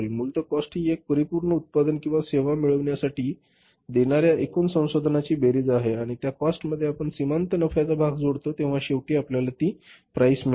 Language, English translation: Marathi, Cost is basically the one which is a sum total of the resources which we have sacrificed to get some finished product or service and in the cost when we add up the profit part or the margin part then finally what we get is that is the price